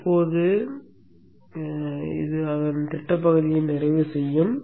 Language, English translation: Tamil, Now this will complete the schematic part of it